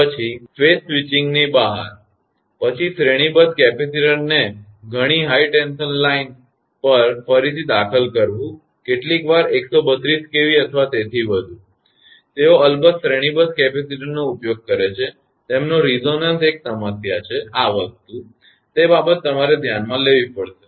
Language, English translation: Gujarati, Then out of phase switching; then reinsertion of series capacitor many high tension line sometimes 132 kV or above; they use series capacitors of course, their resonance is a problem that this thing; that thing you have to consider